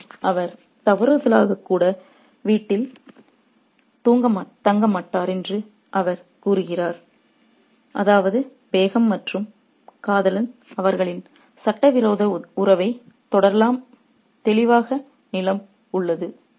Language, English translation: Tamil, And he says that they won't even stay at home, they won't stay at home even by mistake, which means that the ground is clear for the Begham and the lover to carry on their illicit relationship